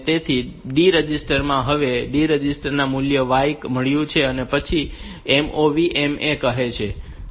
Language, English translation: Gujarati, So, the D register now has the value D register has got the value y and then it says move M comma A